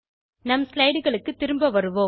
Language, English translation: Tamil, Let us go back to the slides